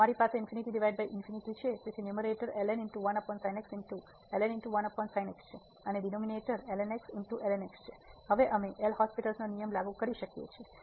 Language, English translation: Gujarati, So, we have infinity by infinity so, the numerator is over and denominator is now we can apply the L’Hospital rule